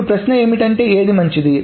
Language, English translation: Telugu, Now the question is which one is better, etc